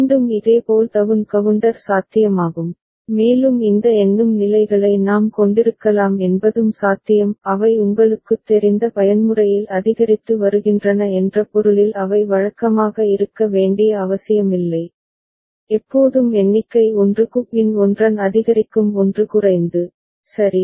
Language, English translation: Tamil, Again similarly down counter is possible and it is also possible that we can have these counting states they need not be regular in the sense that it is in increasing mode you know, always the number is increasing one after another by a value of 1 or getting decremented by 1, right